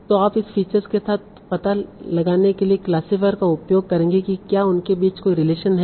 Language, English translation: Hindi, And then you will pass it through your classifier to find out is the relation between these two